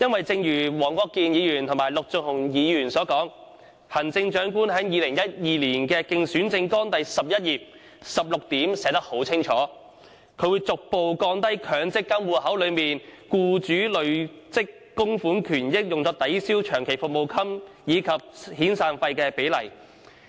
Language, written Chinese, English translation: Cantonese, 正如黃國健議員和陸頌雄議員所說，行政長官在2012年的競選政綱第11頁第16點清楚列明，會"逐步降低強積金戶口內僱主累積供款權益用作抵銷僱員長期服務金及遣散費的比例"。, As Mr WONG Kwok - kin and Mr LUK Chung - hung said the Chief Executive has stated unequivocally in his 2012 election manifesto under point 16 in page 11 that We will adopt measures to progressively reduce the proportion of accrued benefits attributed to employers contribution in the MPF account that can be applied by the employer to offset long - service or severance payments